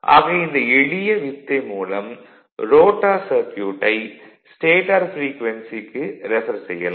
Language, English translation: Tamil, So, this simple trick refers to the rotor circuit to the stator frequency